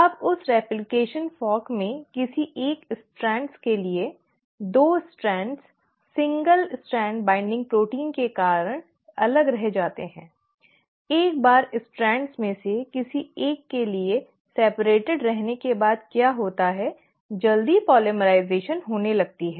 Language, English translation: Hindi, Now in that replication fork for one of the strands, the 2 strands remain separated thanks to the single strand binding proteins, once they remain separated for one of the strands, what happens is you start having a quick polymerisation